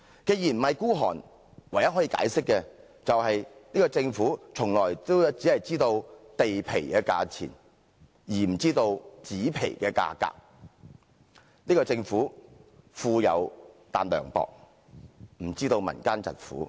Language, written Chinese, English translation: Cantonese, 既然不是孤寒，唯一可以解釋的是，這個政府從來只知道地皮的價錢，而不知紙皮的價格，這個政府富有但涼薄，不理會民間疾苦。, As it is not a miser I can only understand this Government as one which knows only the price of land but not the price of scrap paper . This Government is rich but heartless and it pays no attention to the difficult plight of the people